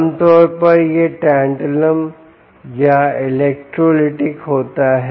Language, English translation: Hindi, normally this is tantalum or electrolytic